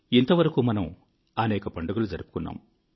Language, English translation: Telugu, We celebrated quite a few festivals in the days gone by